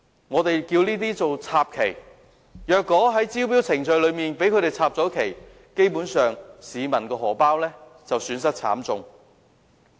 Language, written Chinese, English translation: Cantonese, 我們把這些手法稱為"插旗"，如果在招標程序中被它們"插旗"，基本上，市民的荷包便會損失慘重。, If they during the tender procedures managed to stake their claims the pockets of the people are actually set to suffer great losses